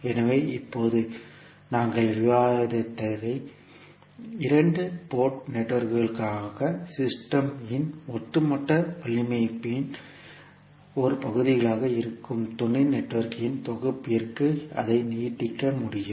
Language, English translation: Tamil, So now, whatever we discussed was for two port networks, we can extend it to n set of sub networks which are part of the overall network of the system